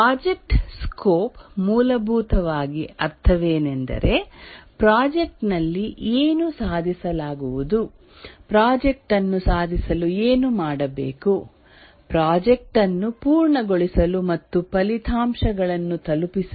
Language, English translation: Kannada, The project scope essentially means that what will be achieved in the project, what must be done to achieve the project, to complete the project and to deliver the results